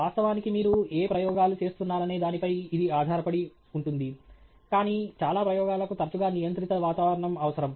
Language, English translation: Telugu, Of course it depends on what experiments you are running, but many experiments will often require a some kind of a controlled atmosphere